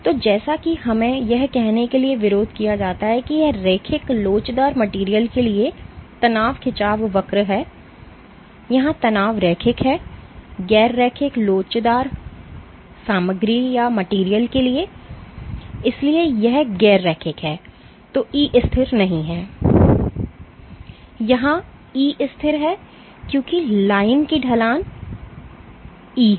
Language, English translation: Hindi, So, as opposed to let us say this is my stress strain curve for linear elastic materials my stress strain is linear, for non linear elastic materials, so this is non linear that is E is not constant and here E is constant why because the slope of the line is E